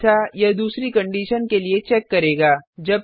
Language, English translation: Hindi, Else it will check for another condition